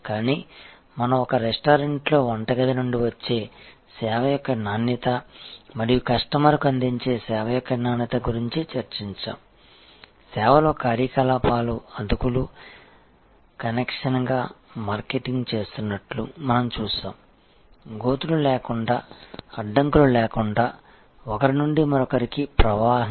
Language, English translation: Telugu, But, we have discussed the just as in a restaurant the quality of the service coming in from the kitchen and quality of the service in presenting that to the customer are so intricately linked, that in service we see operations are marketing as a seamless connection, as a flow from one to the other without having silos, without having barriers